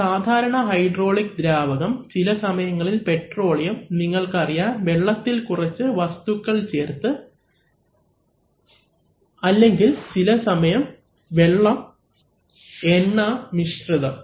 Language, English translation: Malayalam, A typical hydraulic fluid, actually petroleum oil some cases one uses, you know things like water with some with some additives or sometimes water oil mixtures